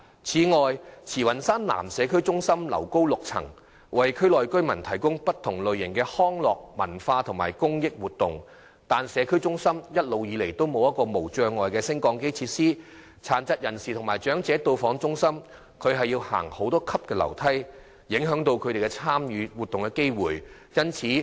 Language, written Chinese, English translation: Cantonese, 此外，慈雲山南社區中心樓高6層，為區內居民提供不同類型的康樂、文化及公益活動，但社區中心一直以來未設有無障礙升降機設施，殘疾人士及長者到訪中心要步上多級樓梯，影響他們參與活動的機會。, In addition the six - storey Tsz Wan Shan South Estate Community Centre provides various types of recreational cultural and community activities for local residents . However no barrier - free lift has ever been provided in the Community Centre . Disabled people and the elderly have to walk up many stairs when they visit the Community Centre which discourages from joining the activities there